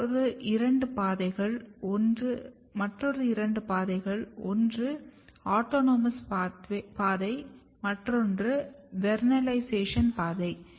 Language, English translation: Tamil, But another two pathways one is the autonomous pathway and the vernalization pathway